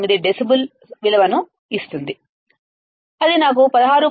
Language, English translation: Telugu, 9 decibels, that will give me value of 16